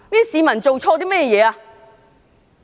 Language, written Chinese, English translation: Cantonese, 市民做錯了甚麼？, What had the public done wrong?